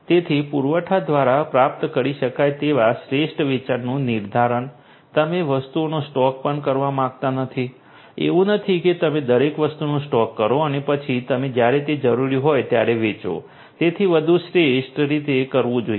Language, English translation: Gujarati, So, determining that and the optimum sale that would can be achieved through the supply you do not want to even stock the items you know it is not like you know you procure everything stock it up and then you sell you know as an when it is required not like that, so everything has to be done optimally